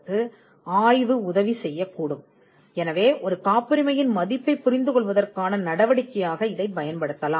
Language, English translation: Tamil, So, the it is an equivalent for or it could be used as a measure for understanding the value of a patent